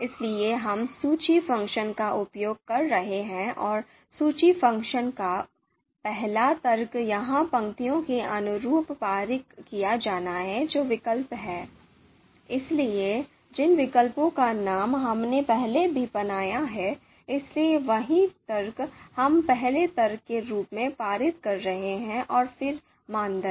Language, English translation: Hindi, So we are using list function and the first argument of list function here is to be passed corresponding to the rows which are alternatives, so names of alternatives we have already created, so the same argument, you know see this variable we are passing as the first argument and then the criteria